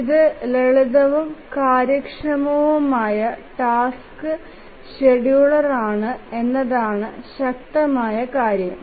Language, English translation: Malayalam, The strong point is that it's a simple and efficient task scheduler